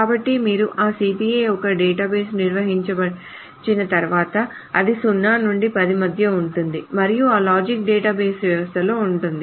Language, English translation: Telugu, So once you define the database of that CPI, you can say that it is between 0 to 10 and then that that logic is within the database system